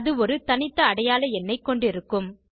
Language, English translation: Tamil, This will contain the Unique Identification number